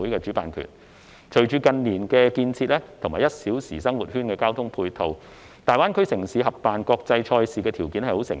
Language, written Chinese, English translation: Cantonese, 隨着近年的建設及"一小時生活圈"的交通配套形成，大灣區城市合辦國際賽事的條件成熟。, With the developments in recent years and the formation of the transport infrastructure in the one - hour living circle conditions are ripe for GBA cities to co - host international competitions